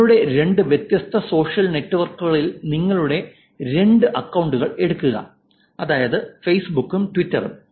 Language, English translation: Malayalam, Take two of your accounts on your two different social networks, which is Facebook and Twitter, just take only Facebook and Twitter